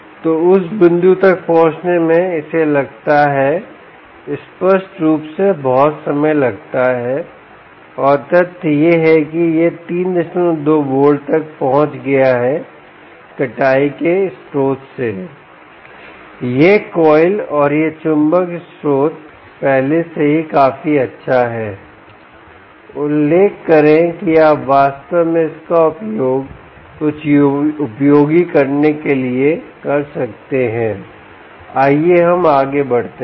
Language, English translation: Hindi, so to reach that point it takes obviously takes a lot of time, and the fact that it has reached three point two volts from this harvested source, this coil and this magnet source, is already good enough to mention that you can actually use it to do something useful